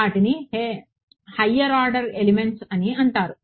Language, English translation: Telugu, Right those are called higher order elements